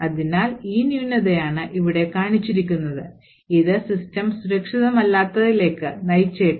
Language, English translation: Malayalam, Therefore, it is only this particular flaw, which is shown over here that could lead to a system being not secure